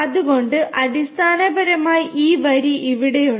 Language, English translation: Malayalam, So, basically you know this line over here